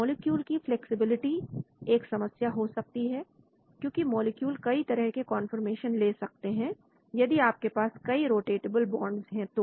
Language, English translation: Hindi, Flexibility of the molecules because the molecules can take different conformations, if you have many rotatable bonds that is the problem